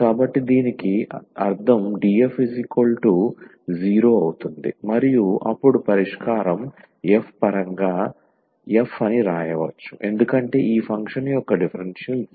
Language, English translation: Telugu, So, meaning this df is equal to 0, and the solution then we can write down in terms of f that f is a constant because the differential of this function is 0